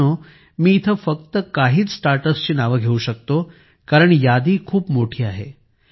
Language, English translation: Marathi, Friends, I can mention the names of only a few Startups here, because the list is very long